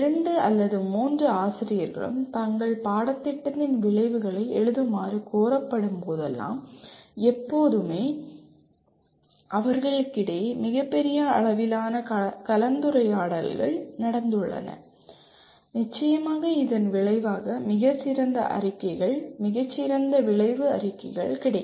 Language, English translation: Tamil, Always whenever the two or three faculty are requested to write the outcomes of their course, there has been a tremendous amount of discussion among them and certainly as a result of that a much better statements, much better outcome statements will result